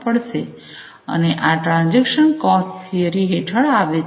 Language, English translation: Gujarati, And these come under the transaction cost theory